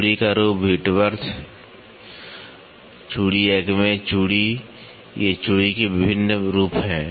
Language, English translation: Hindi, Form of threads, Whitworth, thread acme thread, these are different forms of threads